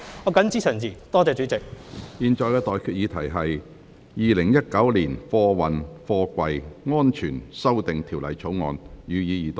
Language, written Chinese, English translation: Cantonese, 我現在向各位提出的待決議題是：《2019年運貨貨櫃條例草案》，予以二讀。, I now put the question to you and that is That the Freight Containers Safety Amendment Bill 2019 be read the Second time